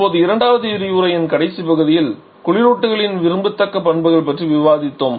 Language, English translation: Tamil, Now in the last lecture towards the end of the second lecture we have discussed about the desirable properties of the refrigerants